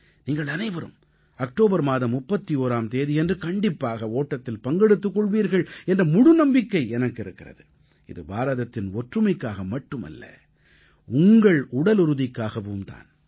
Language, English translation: Tamil, I hope you will all run on October 31st not only for the unity of India, but also for your physical fitness